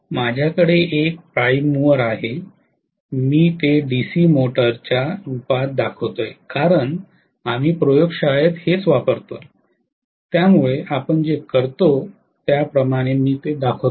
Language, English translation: Marathi, I have a prime mover, I am showing it to the form of DC motor okay, because this is what we use in the laboratory so I am exactly showing it like what we do